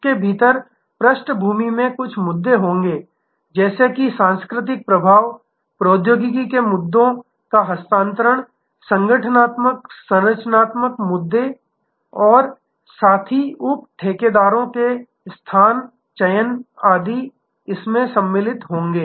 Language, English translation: Hindi, Within the at there will be some issues at the background like cultural influences transfer of technology issues organizational structural issues and location selection of partner sub contractors etc